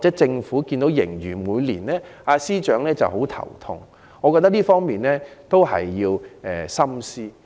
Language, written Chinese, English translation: Cantonese, 政府和司長每年看到盈餘便頭痛，我覺得他們需要深思。, When the fiscal surplus gives the Government and the Financial Secretary a hassle every year they should think over what has gone wrong